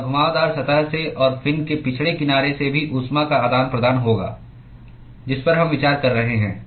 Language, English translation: Hindi, And there will be heat exchange from the curved surface and also from the lagging edge of the fin that we are considering